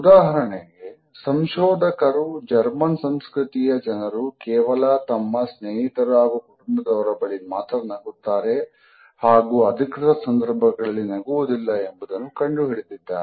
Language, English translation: Kannada, For example, researchers have found out that in German culture a smiling is reserved for friends and family and may not occur during formal introductions